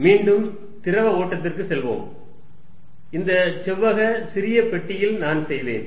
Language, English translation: Tamil, Let us again go back to fluid flow, and I will make in this the rectangular small box